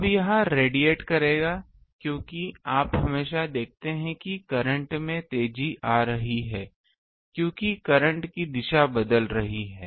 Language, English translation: Hindi, Now, this one will radiate because you see always the current is accelerating because the direction of the current is changing